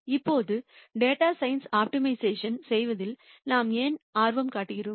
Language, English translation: Tamil, Now, why is it that we are interested in optimization in data science